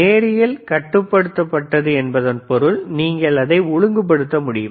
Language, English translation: Tamil, If you see the lLinear regulated means you can regulate it